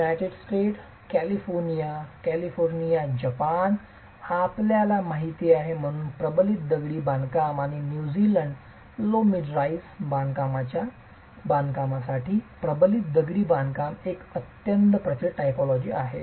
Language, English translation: Marathi, United States, California, the California district, Japan as you know, but reinforced masonry and New Zealand, reinforced masonry is a highly prevalent typology for construction of low to mid rise constructions